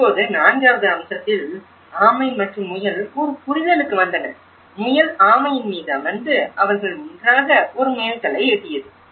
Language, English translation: Tamil, Now, in fourth aspect tortoise and hare came to an understanding, the hare sat on the tortoise and they reached a milestone together